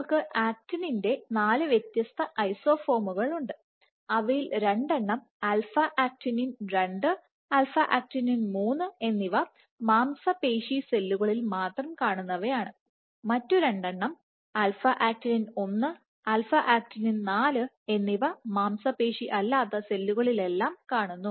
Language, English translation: Malayalam, So, for actinin you have 4 different isoforms of actinin, 2 of them alpha actinin 2 and alpha actinin 3 are specific to muscle cells, the other 2 of them alpha actinin 1 and alpha actinin 4 are presented all non muscle cells